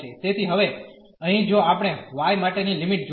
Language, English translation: Gujarati, So, first we have to fix the limit for y here